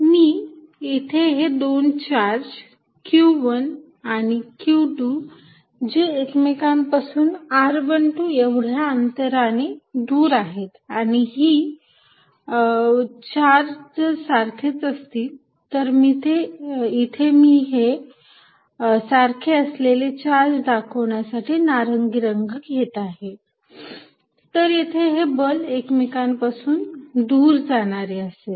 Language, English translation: Marathi, I am drawing two charges q 1 and q 2 separated by a distance r 1 2 and if the charges are the same, so it is for same I am going to use the color orange with the charges of the same, then the force is repulsive